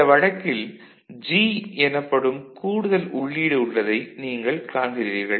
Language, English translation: Tamil, In this case you see there is an additional input called G ok